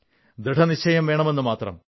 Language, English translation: Malayalam, All that is needed is a resolve